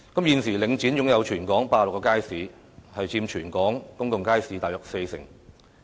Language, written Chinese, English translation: Cantonese, 現時，領展在香港擁有86個街市，佔全港公眾街市約四成。, At present Link REIT owns 86 markets in Hong Kong accounting for about 40 % of the total number of public markets in the territory